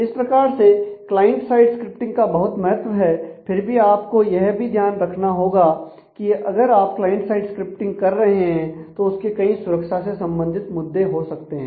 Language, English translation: Hindi, So, client side scripting has a lot of value, but you will have to have to remember that a if you are doing client side scripting then there are security issues